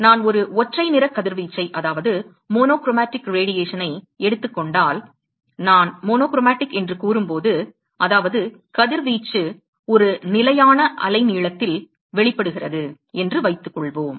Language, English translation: Tamil, So, suppose if I take a monochromatic radiation ok, when I say monochromatic which means that the radiation is emitted at a fixed wavelength right